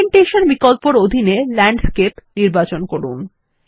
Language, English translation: Bengali, Under the Orientation option, let us select Landscape